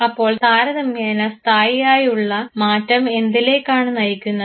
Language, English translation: Malayalam, So, if it is a relatively stable change what should it lead to it